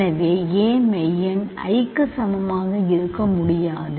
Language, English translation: Tamil, So, a real number cannot be equal to i